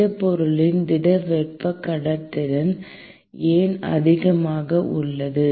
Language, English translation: Tamil, Why solid thermal conductivity of solids is high